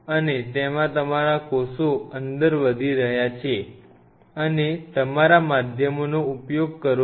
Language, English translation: Gujarati, And inside your cells are growing right and your use your media